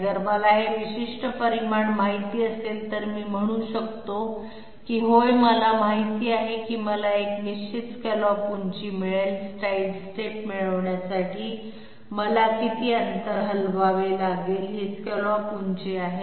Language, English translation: Marathi, If I know this particular magnitude, I can say that yes I know how much distance I have to shift in order to get the sidestep which will give me a definite scallop height, this is the scallop height okay